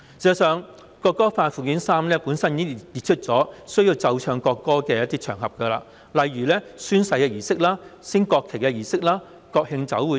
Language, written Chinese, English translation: Cantonese, 事實上，《條例草案》附表3本身已列出一些須奏唱國歌的場合，例如宣誓儀式、升國旗儀式及國慶酒會等。, In fact Schedule 3 to the Bill sets out certain occasions on which the national anthem must be played and sung such as an oath - taking ceremony a national flat rising ceremony and the National Day Reception and so on